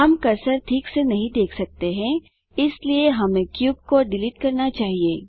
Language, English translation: Hindi, We cant see the cursor properly so we must delete the cube